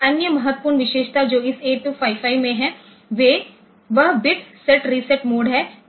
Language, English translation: Hindi, Another important feature that this 8255 has is the bit set reset mode